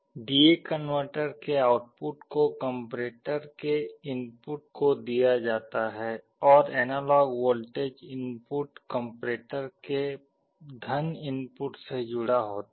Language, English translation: Hindi, The D/A converter output is fed to the input of the comparator, and the analog voltage input is connected to the + input of the comparator